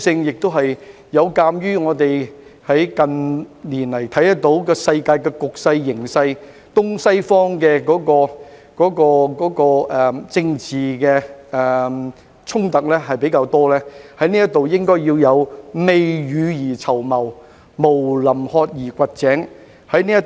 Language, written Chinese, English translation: Cantonese, 此外，有鑒於近年的世界局勢，東西方的政治衝突較多，我們在這方面宜未雨而綢繆，毋臨渴而掘井。, Moreover given the world situation and increased political conflicts between the East and the West in recent years it is better for us to save up for the rainy days than to dig a well in great thirst